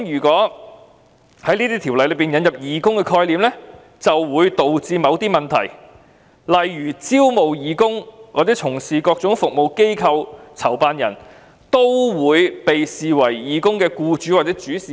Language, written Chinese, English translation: Cantonese, 在條例引入'義工'概念，或會導致某些問題，例如招募義工從事各種服務的機構或籌辦人，會否被視為義工的'僱主'或'主事人'"。, Introducing the concept of volunteers to the legislation may lead to problems such as whether an organization or organizer that recruits volunteers to participate in various services would be considered as the volunteers employer or principal